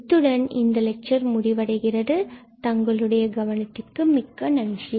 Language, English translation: Tamil, So, that is all for this lecture, and I thank you for your attention